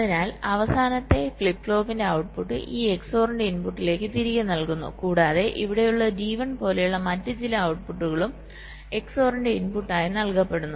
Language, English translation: Malayalam, these are d flip flops, so the output of the last flip flop is fed back in to the input of this x or and some other output, like here, d one is also fed as the input of x or